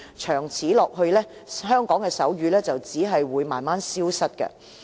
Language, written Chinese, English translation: Cantonese, 長此下去，香港的手語只會逐漸消失。, In the long run the sign language in Hong Kong will gradually become extinct